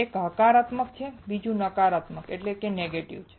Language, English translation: Gujarati, One is positive and the other one is negative